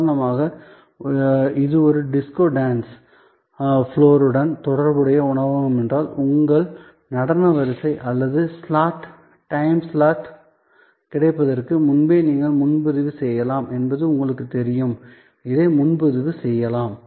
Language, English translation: Tamil, For example, if it is a restaurant, which is associated with a disco dance floor, then again you know you may actually pre book your availability of your dance sequence or slot, time slot and this can be pre booked